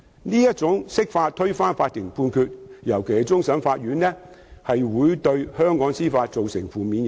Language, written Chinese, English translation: Cantonese, 這種釋法推翻法庭判決，尤其是終審法院的判決，會對香港司法造成負面影響。, If the interpretation of the Basic Law overturns a court judgment especially one of CFA the administration of justice in Hong Kong would be adversely affected